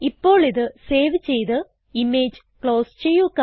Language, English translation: Malayalam, Now, lets save and close the image